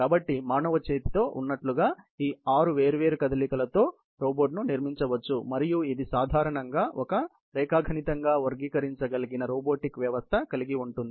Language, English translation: Telugu, So, that can be accumulated with all these six different motions as in a human arm and this typically, have a robotic system is classified geometrically